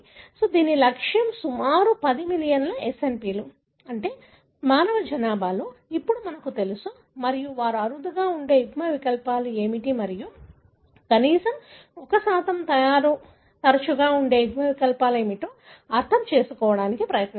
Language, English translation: Telugu, So, the objective was about 10 million SNPs, you know, we know now that exist in the human population and they tried to understand what are the alleles that are rare and what are the alleles that are frequent at least 1%